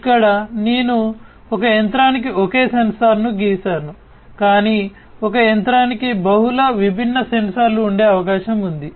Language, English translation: Telugu, Here I have drawn a single sensor per machine, but it is also possible that a machine would have multiple different sensors